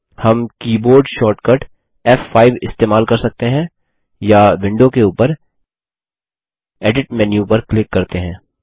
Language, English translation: Hindi, We can use the keyboard shortcut F5, or click on the Edit menu at the top of the window, and then click on Run Query at the bottom